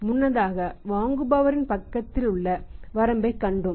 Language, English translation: Tamil, Earlier we have seen the limitation of the buyer side